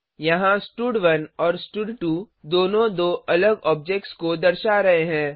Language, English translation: Hindi, Here both stud1 and stud2 are referring to two different objects